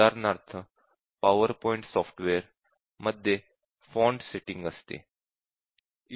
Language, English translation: Marathi, For example, let us say this is a font setting for the power point software